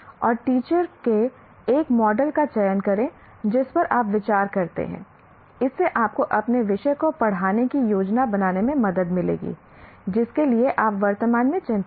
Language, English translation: Hindi, And select a model of teaching that you consider will help you to plan your teaching the subject you are presently concerned with